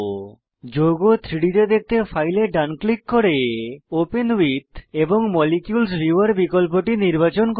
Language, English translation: Bengali, To view the compound in 3D, right click on the file, choose the option Open with Molecules viewer